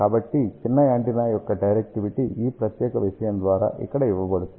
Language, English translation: Telugu, So, directivity of small antenna is given by this particular thing over here